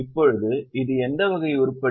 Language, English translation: Tamil, Now it is what type of item